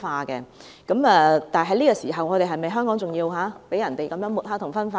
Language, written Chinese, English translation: Cantonese, 在這個時候，香港是否還要被人這樣抹黑及分化嗎？, At this moment should Hong Kong be further smeared and divided?